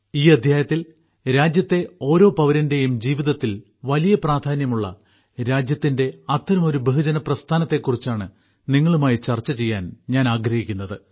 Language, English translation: Malayalam, In this episode, I want to discuss with you today one such mass movement of the country, that holds great importance in the life of every citizen of the country